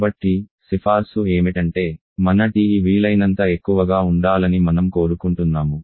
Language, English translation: Telugu, So, the recommendation is we want our TE to be as high as possible